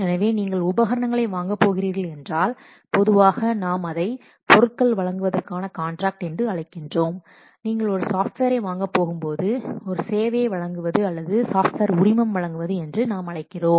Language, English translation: Tamil, So, let's see again that if you are going to purchase equipment, normally we call it as what contract for the supply of goods and when you are going to purchase the software we call us supplying a service or granting a license